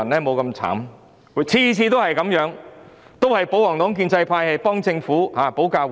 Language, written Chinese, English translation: Cantonese, 每次的情況都一樣，都是保皇黨和建制派議員替政府保駕護航。, The situation is just the same each time in the sense that royalist and pro - establishment Members all hasten to defend the Government